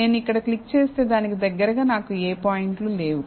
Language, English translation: Telugu, So, if I click here, then I do not have any points closest to it